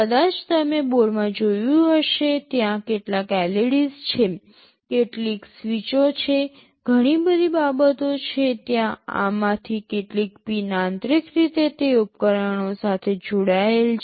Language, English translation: Gujarati, Maybe you have seen in the board there are some LEDs, some switches, so many things are there maybe some of these pins are internally connected to those devices